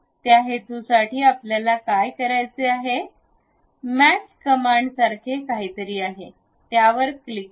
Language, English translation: Marathi, For that purpose, what we have to do, there is something like mate command, click this one